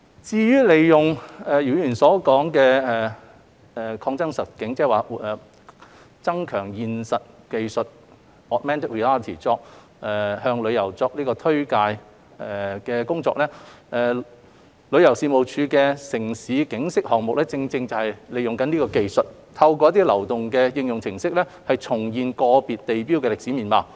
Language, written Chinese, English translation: Cantonese, 至於利用姚議員提到的擴增實境技術，即"增強現實技術"向旅客作推介工作，旅遊事務署的"城市景昔"項目正正是利用此技術，透過流動應用程式，重現個別地標的歷史面貌。, As regards the use of augmented reality technology as mentioned by Mr YIU to introduce the neighbourhood to visitors the City in Time launched by TC is exactly the project that deploys related technology to bring back to life the history of individual landmarks of Hong Kong through mobile application